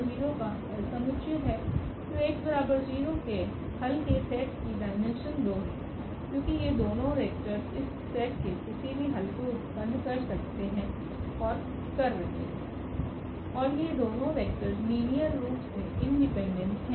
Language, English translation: Hindi, So, the solution set of Ax is equal to 0 we have the dimension 2, because these are the two vectors which can generate any solution of this set and these two vectors are linearly independent